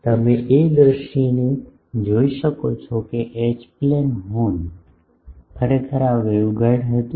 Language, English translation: Gujarati, You can see the view the picture that H plane Horn, actually the this was the waveguide